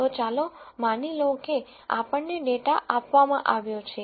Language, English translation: Gujarati, So, let us assume that we are given data